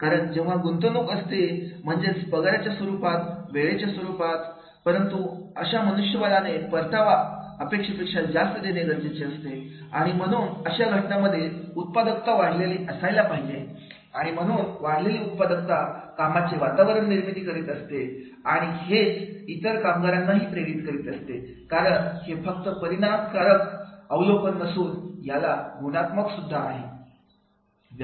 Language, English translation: Marathi, Because whatever investment is the salary is same, time is same, but the return that is much more than what is expected from this particular man for human resource and therefore in that case, it is the increase the productivity is there and therefore increase the productivity is there creating work environment itself, motivating the employees itself because it is not only the quantitative terms but it can be in the qualitative terms also